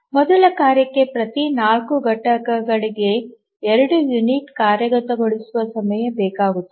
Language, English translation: Kannada, The first task needs two units of execution time every four units